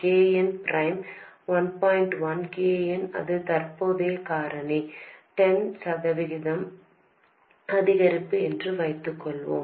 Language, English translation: Tamil, 1 times KM, that is the current factor has increased by 10%